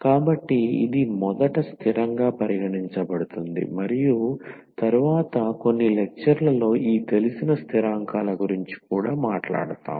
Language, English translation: Telugu, So, this what treated as constant at first and in later on some lectures we will also talk about this known constants